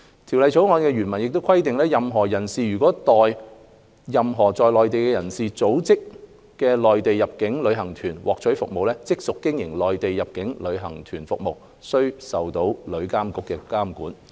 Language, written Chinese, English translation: Cantonese, 《條例草案》原文亦規定，任何人士如代任何在內地的人所組織的內地入境旅行團獲取服務，即屬經營內地入境旅行團業務，須受旅監局監管。, It is also provided in the original text of the Bill that a person who obtains services for a Mainland inbound tour group organized by a person in the Mainland carries on Mainland inbound tour group business and is thus subject to the regulation of TIA